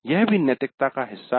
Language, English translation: Hindi, This is also part of the ethics